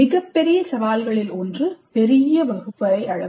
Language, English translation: Tamil, One of the biggest challenges would be the large class size